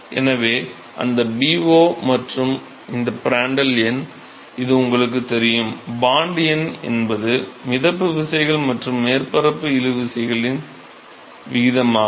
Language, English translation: Tamil, So, that Bo, this is Prandtl number, you know that; Bond number is ratio of buoyancy forces to surface tension forces